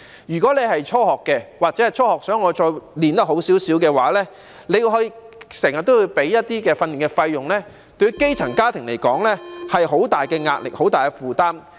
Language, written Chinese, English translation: Cantonese, 如果是初學但想接受較好的訓練，那便要支付訓練費用，這對於基層家庭而言是很大的壓力、很大的負擔。, If one is a beginner but wants to receive better training one will have to pay for it which will create a great burden for grass - roots families